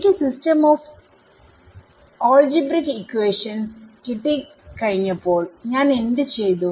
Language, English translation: Malayalam, Once I got the system of algebraic equations what did I do